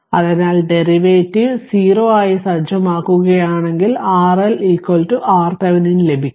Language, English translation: Malayalam, So, if you take the derivative set it to 0 then you will get R L is equal to R Thevenin right